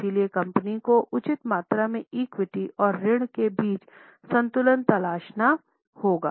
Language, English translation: Hindi, So, company has to seek a balance between fair amount of equity and debt